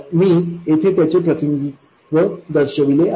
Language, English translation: Marathi, I have shown some representation of that